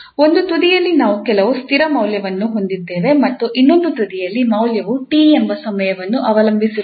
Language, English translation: Kannada, So at one end, we have some fixed value and at the other end the value is depending on the time t for instance